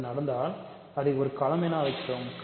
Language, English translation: Tamil, So, if that happens we call it a field